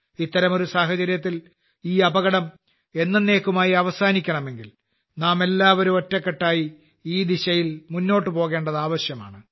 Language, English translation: Malayalam, In such a situation, for this danger to end forever, it is necessary that we all move forward in this direction in unison